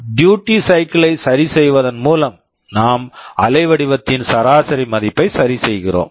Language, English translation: Tamil, Essentially by adjusting the duty cycle we are adjusting the average value of the waveform